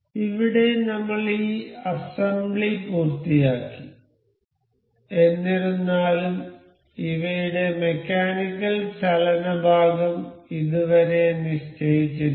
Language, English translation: Malayalam, So, here we have finished this assembly so; however, the mechanical motion part of these is not yet fixed